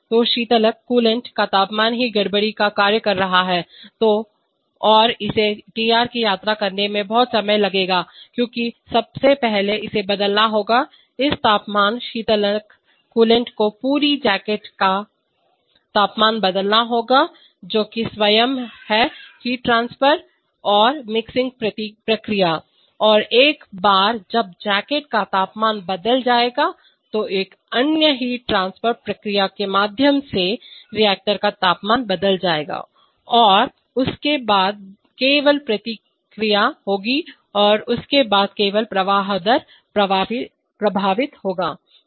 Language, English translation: Hindi, So the temperature of the coolant itself could act as the disturbance and this will take a lot of time to travel to Tr because first of all this has to change, this temperature coolant will have to change the temperature of the whole jacket that itself is the heat transfer and mixing process, once that jacket temperature is changed then through another heat transfer process the reactor temperature will change and then only feedback will go and then only the flow rate will get affected